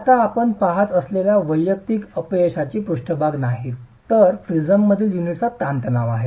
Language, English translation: Marathi, These are now not the individual failure surfaces that we are looking at but the stress path of the unit in the prism